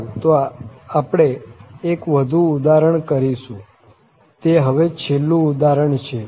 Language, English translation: Gujarati, Well, so we will do one more example, that is the last example now